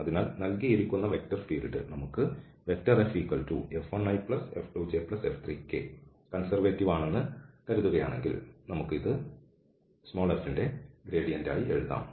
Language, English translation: Malayalam, So, if the given vector field suppose we have F 1 F 2 and F 3 is conservative, then we can write down this as a gradient of f